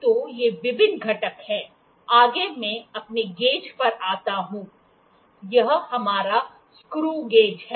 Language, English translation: Hindi, So, these are various components next I come to my gauge, this screw gauge, this is our screw gauge